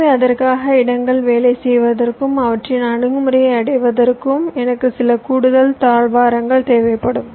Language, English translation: Tamil, so for that, possibly, i will need some additional corridors for places to work and reach their approach